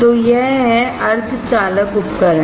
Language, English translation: Hindi, So, that is that semiconductor devices